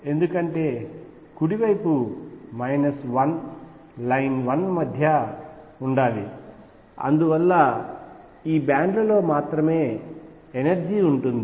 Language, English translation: Telugu, Because the right hand side should be between minus 1 line one and therefore, energy is exist only in these bands